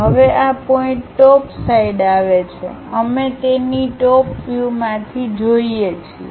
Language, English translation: Gujarati, Now this point comes at top side of the we are looking from top side of that